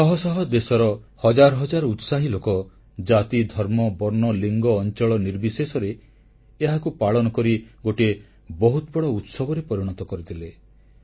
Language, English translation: Odia, Zealous citizens of hundreds of lands overlooked divisions of caste, religion, region, colour and gender to transform this occasion into a massive festival